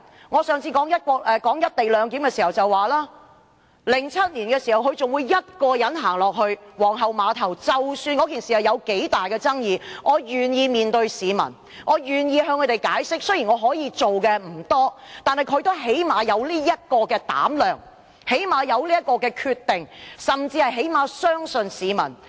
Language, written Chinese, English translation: Cantonese, 我上次談"一地兩檢"時表示，在2007年時，她仍會一人到皇后碼頭，不管該次事件具多大的爭議性，她也願意面對市民和向市民解釋，雖然她可以做的事不多，但至少她有膽量和決心，甚至能信任市民。, In the previous Council meeting when I talked about the co - location clearance I said in 2007 amid the highly controversial Queens Pier issue she was still willing to come to the pier to face the public and explain to them . Actually she could not do much about this but at least she had the guts determination and even confidence in Hong Kong people . Today it is beyond doubt that 689 is downright a member of the Communist Party who has gone crazy by his own fawning mindset